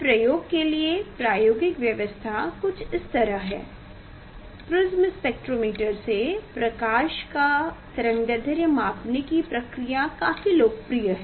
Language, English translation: Hindi, Experimental arrangement for this experiments it s a, so to measure the wavelength to measure the wavelength of a light prism spectrometer is very popular